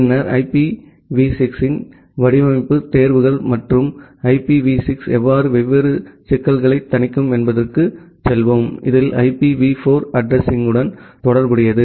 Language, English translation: Tamil, And then we will go to the design choices of IPv6 and the how IPv6 mitigates different problems, in which are associated with IPv4 addressing